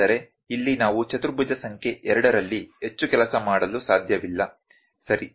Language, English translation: Kannada, But here we cannot work much in quadrant number 2, ok